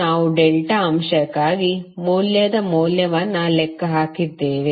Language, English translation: Kannada, We just calculated the value of value for delta element